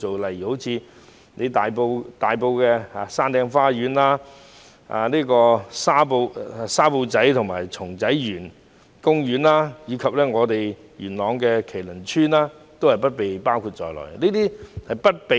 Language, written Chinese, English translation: Cantonese, 例如大埔的山頂花園、沙埔仔和松仔園公園，以及元朗的麒麟村也不被包括在資助計劃內。, For example Hilltop Garden Sha Po Tsai and Tsung Tsai Yuen Garden in Tai Po and Ki Lun Tsuen in Yuen Long are not covered by the Subsidy Scheme